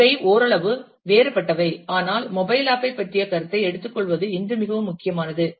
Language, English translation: Tamil, These are somewhat different, but it is very important to today to take a notion of the mobile app